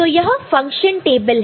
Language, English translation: Hindi, So, this is the function table, ok